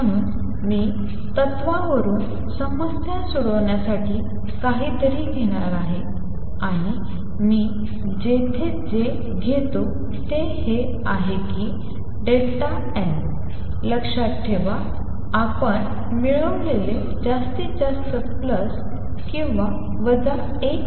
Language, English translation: Marathi, So, I am going to borrow to solve the problem from the principle, and what I borrow here is that delta n remember we derive can be maximum plus or minus 1